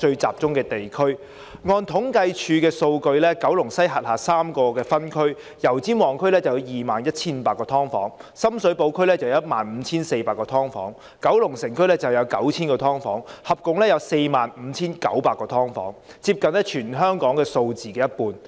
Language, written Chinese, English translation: Cantonese, 按政府統計處的數據，九龍西轄下有3個分區，油尖旺區有 21,500 個"劏房"、深水埗區有 15,400 個、九龍城區有 9,000 個，共有 45,900 個"劏房"，接近全香港數字的一半。, According to data provided by the Census and Statistics Department on the three districts in Kowloon West there are 21 500 subdivided units in Yau Tsim Mong District 15 400 in Sham Shui Po District and 9 000 in Kowloon City District . These 45 900 subdivided units are nearly half of the total number of subdivided units throughout Hong Kong